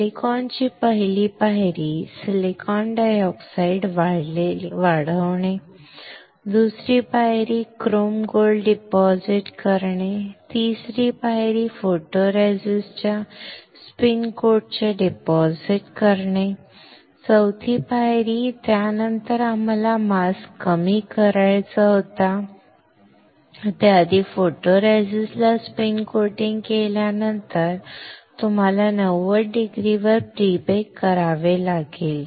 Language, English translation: Marathi, Silicon first step, silicon dioxide grown second step, chrome gold deposit third step, deposit of spin coat of photoresist four step, after that we had to lower the mask before that after spin coating the photoresist you are to pre bake at 90 degree for 1 minute